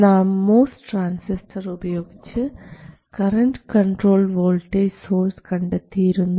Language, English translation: Malayalam, A MOS transistor, as we know, it is a voltage controlled current source